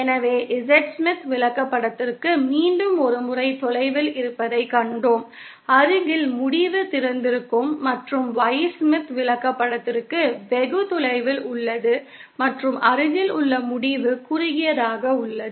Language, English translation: Tamil, So, once again for the Z Smith chart we saw that the far end is short, near end is open and for the Y Smith chart far end is open and near end is short